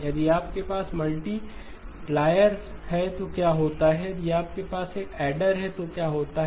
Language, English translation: Hindi, What happens if you have multiplier, what happens if you have an adder